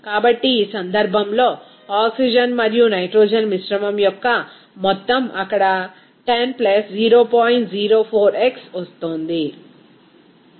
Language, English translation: Telugu, So, in this case, the total amount of oxygen and nitrogen mixture is coming 10 + 0